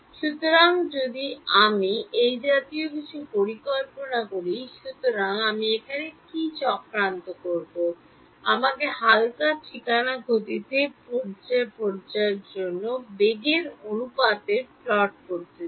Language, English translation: Bengali, So, if I plot something like this; so, what will I plot over here, let me plot the ratio of the phase velocity to speed of light ok